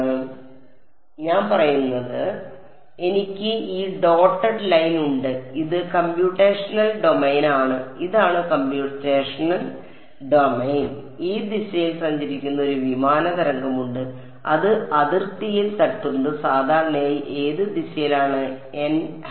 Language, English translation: Malayalam, So, what I am saying is that I have this dotted line which is the computational domain this is the computational domain I have a plane wave that is traveling in this direction hitting the hitting the boundary normally which direction is n hat